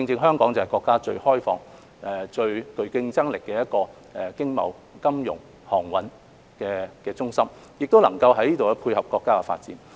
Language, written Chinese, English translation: Cantonese, 香港正是國家最開放、最具競爭力的經貿、金融及航運中心，能夠從中配合國家發展。, Hong Kong being the most open and competitive trading financial and shipping hub of the country is capable of complementing the countrys development